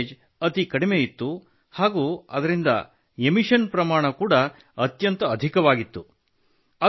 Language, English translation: Kannada, Its mileage was extremely low and emissions were very high